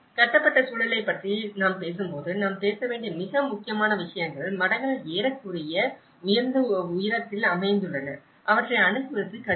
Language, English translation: Tamil, When we talk about the built environment, the most important things we have to talk is the monasteries which are almost located in the higher altitudes and they are difficult to access